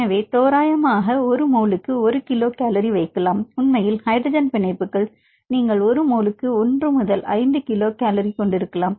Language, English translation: Tamil, So, approximately we can put 1 kilo cal per mole actually hydrogen bonds you can have 1 to 5 kilo cal per mole